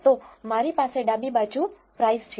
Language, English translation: Gujarati, So, I have price on the left